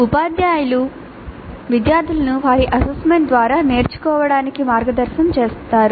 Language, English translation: Telugu, Teachers guide the students to learn through their assessments